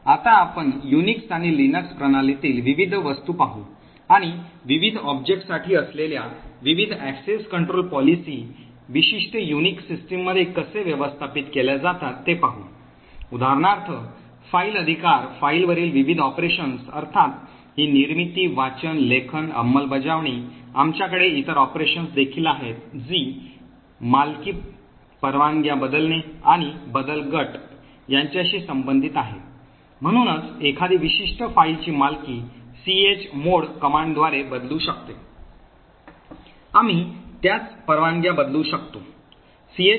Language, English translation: Marathi, Now we will look at the various objects in the Unix and Linux system and we will see about how the various access control policies for the various objects are managed in a typical Unix system, so for example a file rights, the various operations on a file are of course the creation, read, write, execute, we also have other operations which relate to ownership, change of permissions and change group, so one could change the ownership of a particular file by the chown command, we can similarly change the permissions for a file with a chmod command and change group of a file with chgrp command